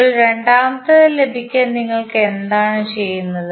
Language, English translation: Malayalam, Now, to obtain the second one what we do